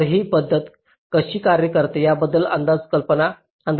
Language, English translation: Marathi, ok, so this is roughly the idea how this method works